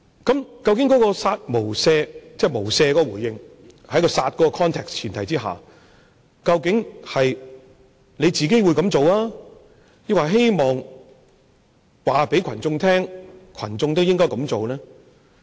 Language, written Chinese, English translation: Cantonese, 究竟"殺無赦"，即"無赦"的回應，在"殺"的話境及前提下，究竟是他自己會這樣做，抑或希望告訴群眾，群眾都應該這樣做？, Regarding kill without mercy that is the response of without mercy on the premise and in the context of kill . Does he mean he himself would act like this or he wants to tell the masses that they should act like this? . Do not forget that I have also chanted slogans on stage at mass rallies